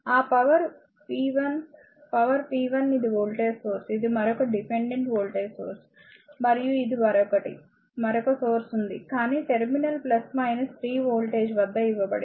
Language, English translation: Telugu, That p power, power p 1 this is a voltage source right this at this is another dependent voltage source and this is another, another source is there, but the terminal plus minus 3 voltage given